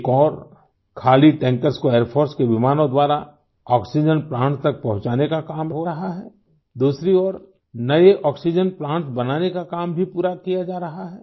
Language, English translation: Hindi, On the one hand empty tankers are being flown to oxygen plants by Air Force planes, on the other, work on construction of new oxygen plants too is being completed